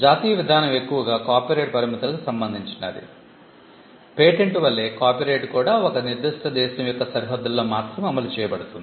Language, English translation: Telugu, The national evolution largely pertained to the limits of copyright; copyright like patent was enforced only within the boundaries of a particular country